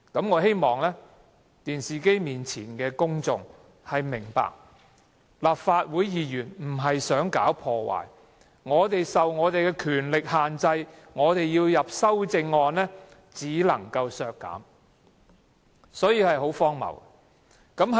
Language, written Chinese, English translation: Cantonese, 我希望電視機前的公眾明白，立法會議員不是想搞破壞，我們的權力受到限制，若要提修正案只能提出削減開支，情況十分荒謬。, I hope the public sitting in front of the television can understand that Members of this Council do not intend to make trouble . Our power is so curtailed that we can only propose to reduce expenditure when putting forth budgetary amendments and this is hugely ridiculous